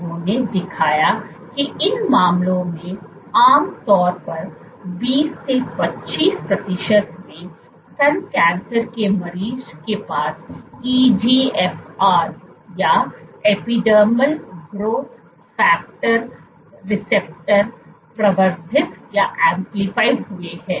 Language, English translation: Hindi, So, what they did was, so in generally in breast cancer patients in 20 to 25 percent of these cases you have EGFR or epidermal growth factor receptor is amplified